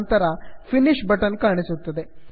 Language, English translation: Kannada, Then the finish button is displayed, click finish